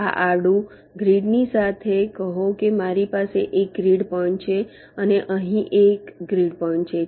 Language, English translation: Gujarati, let say, along the grid i have one grid point, let say here and one grid point here